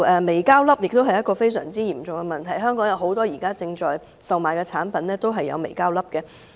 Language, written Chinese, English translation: Cantonese, 微膠粒是一個非常嚴重的問題，香港現時售賣的很多產品都有微膠粒。, Microplastics is a serious problem . Many products being sold in Hong Kong contain microplastics